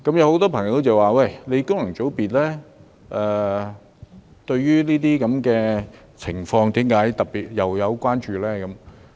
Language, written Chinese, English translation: Cantonese, 很多朋友說，功能界別對於這些情況為何特別關注呢？, Many people ask why the functional constituencies are particularly concerned about these problems